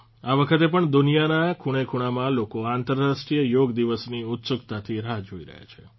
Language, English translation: Gujarati, This time too, people in every nook and corner of the world are eagerly waiting for the International Day of Yoga